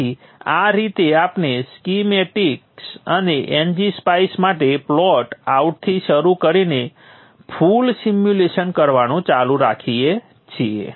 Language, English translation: Gujarati, So this is how we go about doing a complete simulation starting from schematics and NG spies and the plot outs